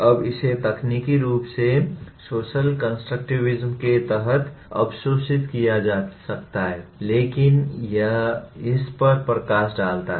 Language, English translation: Hindi, Now this can be technically absorbed under social constructivism but here it highlights this